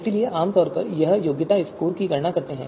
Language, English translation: Hindi, So we compute, typically compute qualification scores